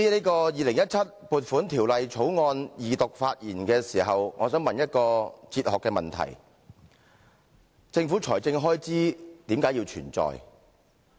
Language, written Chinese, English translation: Cantonese, 在《2017年撥款條例草案》二讀辯論發言中，我想問一些公共財政管理哲學問題：政府財政開支為甚麼要存在？, In the Second Reading debate on the Appropriation Bill 2017 I would like to ask a few questions on the philosophy of public finances management What is the purpose of government expenditure?